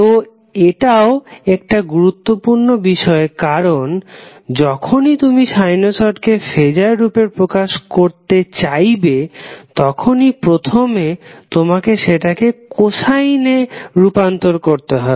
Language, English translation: Bengali, So, this is also very important point because whenever you want to present phaser in present sinusoid in phaser terms, it has to be first converted into cosine form